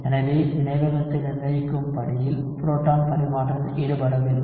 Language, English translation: Tamil, So proton transfer is not involved in the rate determining step